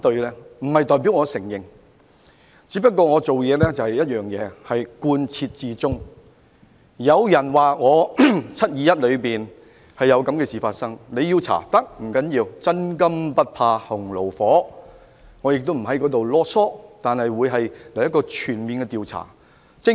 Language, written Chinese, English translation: Cantonese, 這並不代表我承認，只是我的處事原則是要貫徹始終，有人指責我在"七二一"事件中有他們所說的事情發生，要調查我是可以的，不要緊，因為真金不怕洪爐火，我亦不會囉唆，但我要求進行一個全面調查。, This does not mean that I admit what is said in the motions but my principle is that I have to be consistent . Someone accused me of the things that they said happened in the 21 July incident . It is fine to investigate me as a person of intergrity can stand severe tests and I will also not complain a lot